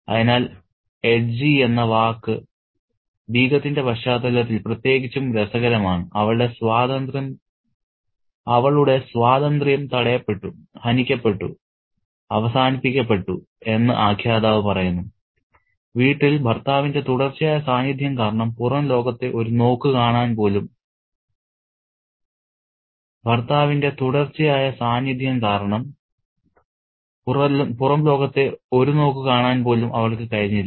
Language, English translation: Malayalam, So, the word edgy is particularly interesting in the context of the Begum and the narrator says that her freedom was stopped, curtailed, put an end to, and because of the continuous presence of her husband in the house, she couldn't even manage to get a glimpse of the outside world